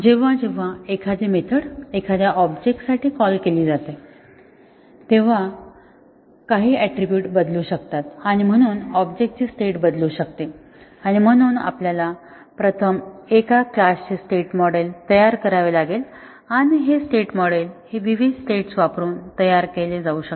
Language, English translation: Marathi, Whenever a method is called for an object, some attribute may change and therefore, the object can change its state and therefore, we have to first construct the state model of a class and the state model can be thus different states can be constructed by using equivalence class is defined on the instance variables